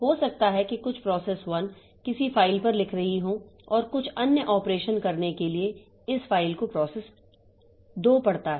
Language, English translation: Hindi, Maybe some process 1 is writing onto a file and this file has to be read by process 2 for doing some other operation